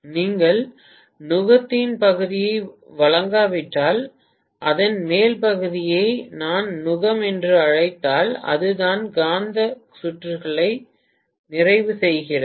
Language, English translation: Tamil, If you don’t provide the yoke portion, if I may call that top portion as the yoke, that is what completes the magnetic circuit